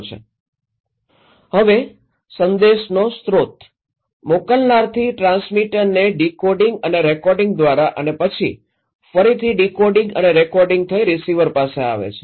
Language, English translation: Gujarati, Refer Slide Time: 10:08) Now, the source of message so from senders to the transmitter decoding and recoding and then again decoding and recoding, coming to the receiver